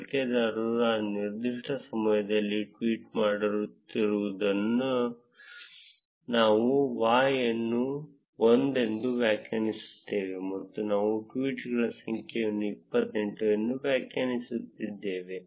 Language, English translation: Kannada, Since, the user a is tweeting at that particular time, we define Y as 1; and we define number of tweets to be 28